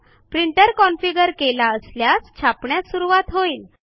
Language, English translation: Marathi, If the printer is configured correctly, the printer should start printing now